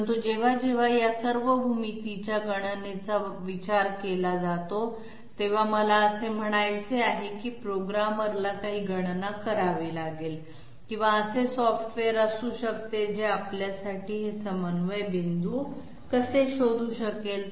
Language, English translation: Marathi, But whenever it comes to computation of all these geometry, there I mean the programmer has to do some calculation or there can be a software which can find out these coordinate points for us, how can that software do that